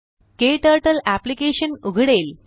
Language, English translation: Marathi, KTurtle application opens